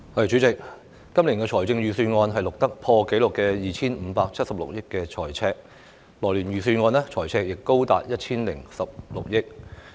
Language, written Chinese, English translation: Cantonese, 主席，今年的財政預算案錄得破紀錄的 2,576 億元財赤，來年預算案的財赤亦高達 1,016 億元。, President an all - time high fiscal deficit of 257.6 billion is recorded in this years Budget and a fiscal deficit of as much as 101.6 billion is forecast for next years Budget